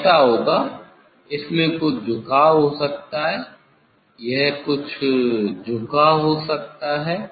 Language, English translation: Hindi, it will, it may have some tilting; it may have some tilting